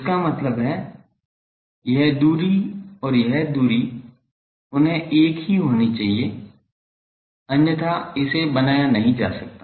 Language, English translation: Hindi, That means, this distance in sorry this distance and this distance they should be same otherwise, it cannot be fabricated